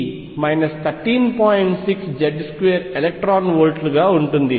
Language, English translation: Telugu, 6 Z square electron volts